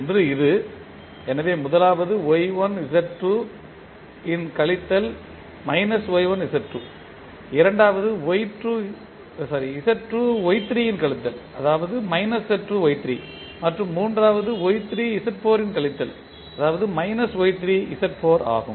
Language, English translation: Tamil, One is this one, so first one will be minus of Y1 Z2, second would be minus of Z2 Y3 and the third one will be minus of Y3 Z4